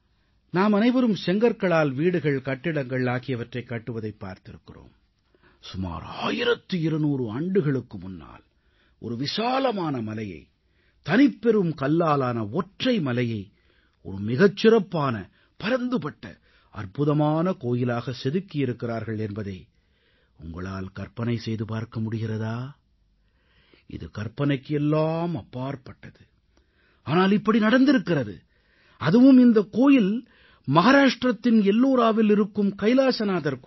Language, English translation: Tamil, All of us have seen houses and buildings being constructed of bricks and stones but can you imagine that about twelve hundred years ago, a giant mountain which was a single stone mountain was give the shape of an elegant, huge and a unique temple this may be difficult to imagine, but this happened and that temple is KailashNathMandir in Ellora, Mahrashtra